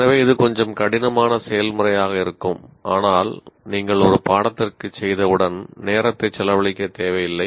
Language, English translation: Tamil, So, this is going to be a little tough process, but once you do for a course, it is not required to keep on spending time